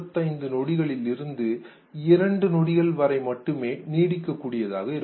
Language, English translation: Tamil, 25 seconds to 2 seconds